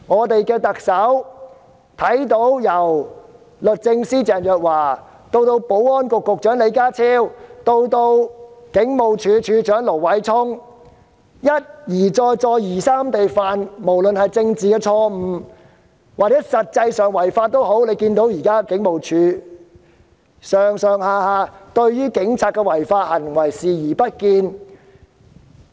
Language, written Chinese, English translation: Cantonese, 特首看到律政司司長鄭若驊、保安局局長李家超及前警務處處長盧偉聰一而再、再而三地犯下政治錯誤或實際違法，而大家亦看到，警務處上上下下對警員的違法行為視而不見。, The Chief Executive saw that Secretary for Justice Teresa CHENG Secretary for Security John LEE and former Commissioner of Police LO Wai - chung had repeatedly committed political mistakes or actually violated the law . We also saw that everyone in the Hong Kong Police Force had turned a blind eye to the breach of law by the police officers . Since June the Police have arrested thousands of people